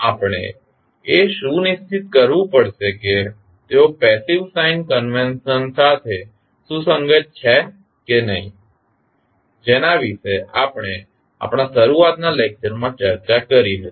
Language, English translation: Gujarati, We have to make sure that they are consistent with the passive sign convention which we discussed in our initial lectures